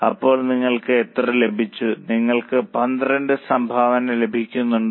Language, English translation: Malayalam, Are you getting a contribution of 12